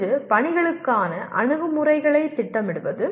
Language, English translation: Tamil, One is planning approaches to tasks